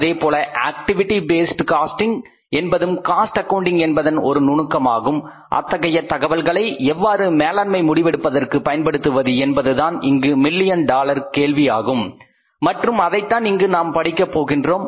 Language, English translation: Tamil, Similarly the activity based costing is a technique of the cost accounting not of the management accounting but that information which is generated by these different techniques of cost accounting how to use that information for the management decision making that is a million dollar question and that is we are going to learn here